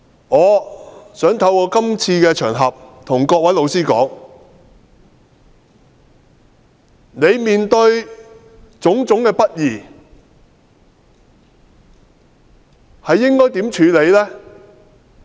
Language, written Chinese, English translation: Cantonese, 我想透過這個場合向每位老師說：你面對的種種不義應該如何處理？, I wish to take this opportunity to ask every teacher these questions What will you do in the face of different kinds of injustice?